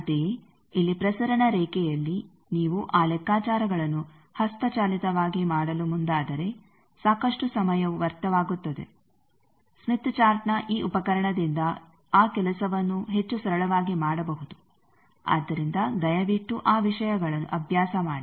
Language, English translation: Kannada, Similarly, here that in transmission line if you get bog down into doing those calculations manually then lot of time gets wasted, that thing can be much simply done by this tool of smith chart so please practice those things